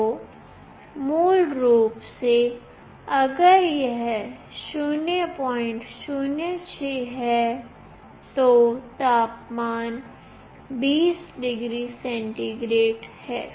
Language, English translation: Hindi, 06 then the temperature is 20 degree centigrade